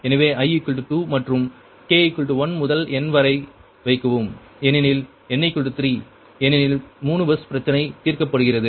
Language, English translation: Tamil, so put, i is equal to two and k is equal to one, two, n because n is equal to three, because there are three bus problem are solving right